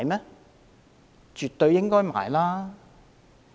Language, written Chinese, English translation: Cantonese, 是絕對應該購買的。, They should absolutely be purchased